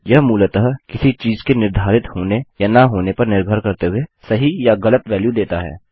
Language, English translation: Hindi, This basically returns a true or false value depending on whether something is set or not